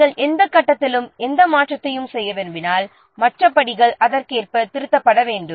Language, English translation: Tamil, If you want to make any change at any step, the other steps have to be revised accordingly